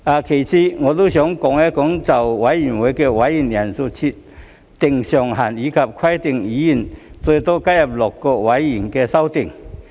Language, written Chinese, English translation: Cantonese, 其次，我想說說就委員會的委員人數設定上限，以及規定議員最多可加入6個委員會的修訂。, Second I would like to talk about the amendments to set a cap on the membership size for committees and to specify that each Member can serve on a maximum of six Panels